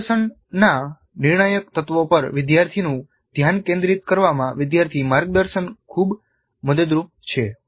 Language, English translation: Gujarati, Now learner guidance is quite helpful in making learner focus on critical elements of the demonstration